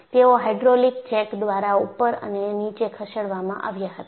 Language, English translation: Gujarati, They were moved up and down by hydraulic jacks